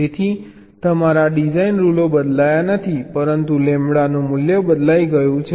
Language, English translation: Gujarati, so your design rules have not changed, but the value of lambda has changed